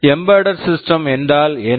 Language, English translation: Tamil, Talking about embedded systems again, what are these embedded systems